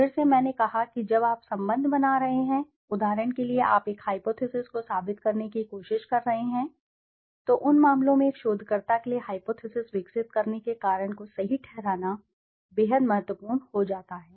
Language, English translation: Hindi, Again i have said when you are building relationships, for example you are trying to prove a hypothesis, in those cases it becomes extremely important for a researcher to justify the reason for developing a hypothesis